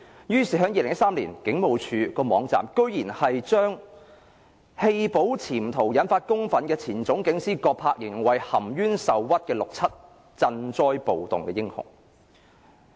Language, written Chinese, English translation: Cantonese, 於是 ，2013 年警務處的網站居然將棄保潛逃引發公憤的前總警司葛柏形容為含冤受屈的六七鎮暴英雄。, Having said that the Police Force described Peter GODBER a former Chief Superintendent as an aggrieved hero confronting rioters in 1967 ignoring the fact that this corrupted cop had aroused public anger and jumped bail